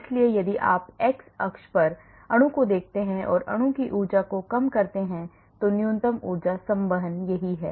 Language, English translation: Hindi, So, if you look at conformation on the x axis and energy of the molecule so minimum energy conformation is this